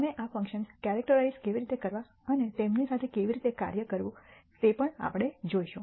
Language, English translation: Gujarati, We will also see how to characterize these functions and how to work with them